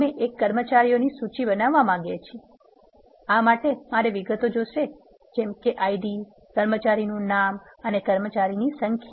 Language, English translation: Gujarati, We want to build a list of employees with the details for this I want the attributes such as ID, employee name and number of employees